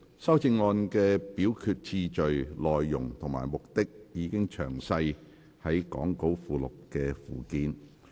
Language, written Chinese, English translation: Cantonese, 修正案的表決次序、內容及目的，已詳列於講稿附錄的附件。, The order of voting on the amendments their contents and objectives are set out in the Annex to the Appendix to the Script